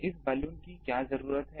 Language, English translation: Hindi, What is the need of this Balun